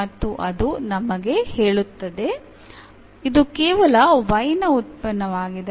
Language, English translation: Kannada, And that we will tell us that this is a function of y alone